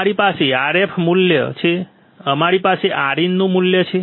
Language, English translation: Gujarati, We have Rf value; we have Rin value right